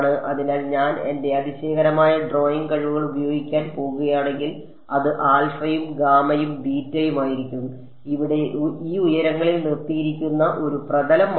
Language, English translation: Malayalam, So, it is going to be if I am going to use my fantastic drawing skills this would be alpha then gamma and beta and it is a plane that is at suspended by these heights over here ok